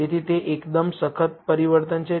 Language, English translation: Gujarati, So, that is a quite drastic change